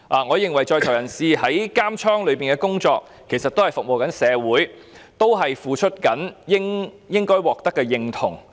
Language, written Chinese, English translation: Cantonese, 我認為在囚人士在監獄的工作也是服務社會，他們付出的也應該獲得認同。, I think prisoners are also serving society in taking up work in prison and their toil should be duly recognized